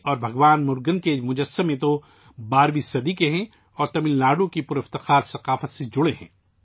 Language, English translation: Urdu, The idols of Devi and Lord Murugan date back to the 12th century and are associated with the rich culture of Tamil Nadu